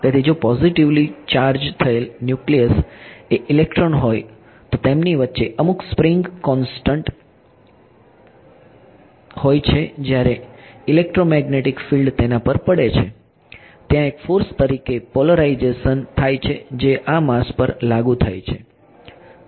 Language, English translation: Gujarati, So, there is a positively charged nucleus is an electron right there is some spring constant between them when an electromagnetic field falls on it there is a polarization there was slight going to as a force that is exerted on this mass